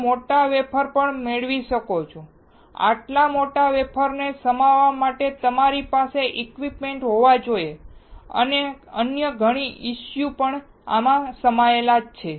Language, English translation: Gujarati, You can also get bigger wafer; You have to have the equipment to accommodate such a big wafer and there are lot of other issues